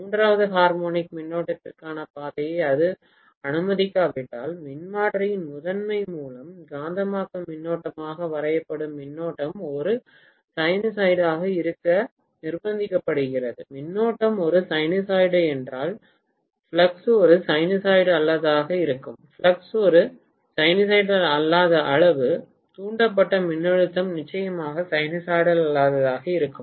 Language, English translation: Tamil, If it do not allow a path for the third harmonic current, the current which is drawn as magnetizing current by the primary of the transformer is forced to be a sinusoid, if the current is a sinusoid the flux will be a non sinusoid and if the flux is a non sinusoidal quantity then, the voltage induced will be definitely non sinusoidal